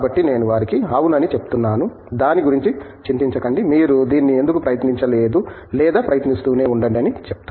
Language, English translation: Telugu, So, I tell them yeah, do not worry about it, why did not you try this or keep trying